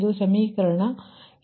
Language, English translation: Kannada, this is equation six